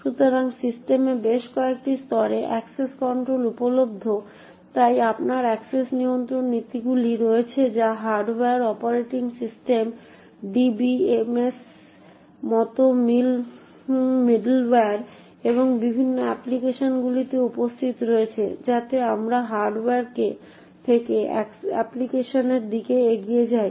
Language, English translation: Bengali, So access controls are available in a number of levels in the system, so you have access control policies which are present at the hardware, operating system, middleware like DBMS and also in various applications, so as we go upwards from the hardware towards the application, the access control mechanisms become more and more complex